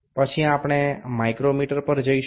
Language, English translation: Bengali, Then we will move to the micrometer